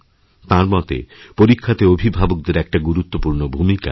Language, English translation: Bengali, He says that during exams, parents have a vital role to play